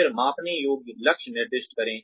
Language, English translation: Hindi, Then, assign measurable goals